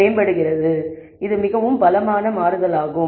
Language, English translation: Tamil, So, that is a quite drastic change